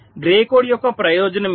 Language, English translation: Telugu, this is the advantage of grey code